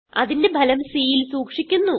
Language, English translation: Malayalam, The result is stored in c